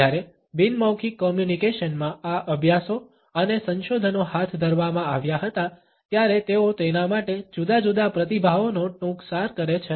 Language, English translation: Gujarati, When these studies and researches were taken up in nonverbal communication, they excerpt different responses to it